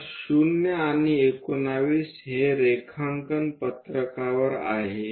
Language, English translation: Marathi, So, 0 is this and 19 is there on the drawing sheet